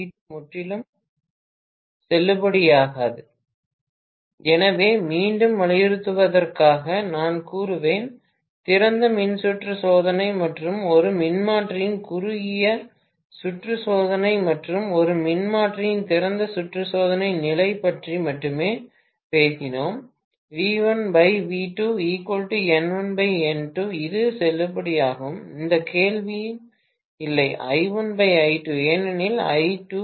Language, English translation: Tamil, [Professor student conversation ends] So, I would say just to reiterate, we have talked about open circuit test and short circuit test of a transformer and the open circuit test condition of a transformer only V1 by V2 equal to N1 by N2 is valid, no question of I1 by I2 because I2 is 0